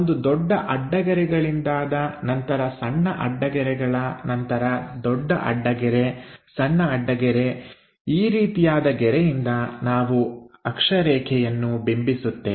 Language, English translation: Kannada, A big dash line followed by a small dash again big dash small dash this is the way we represent an axis